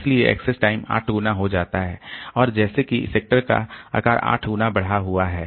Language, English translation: Hindi, So, access time is increased 8 fold and your sector size as if the sector size has increased 8 fold